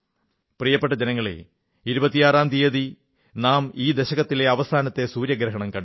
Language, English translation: Malayalam, My dear countrymen, on the 26th of this month, we witnessed the last solar eclipse of this decade